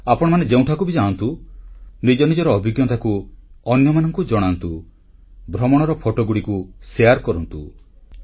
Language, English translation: Odia, Wherever you go, share your experiences, share photographs